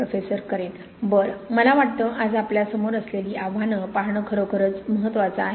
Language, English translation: Marathi, Well, I think it is really important for looking at the challenges we have today